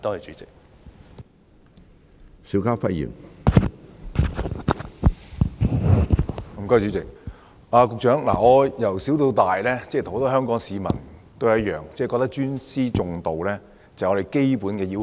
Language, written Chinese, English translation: Cantonese, 主席，局長，我自小跟其他香港市民一樣，認為尊師重道是做人的基本要求。, President Secretary just like other people in Hong Kong I always believe that showing respect to teachers is a basic moral principle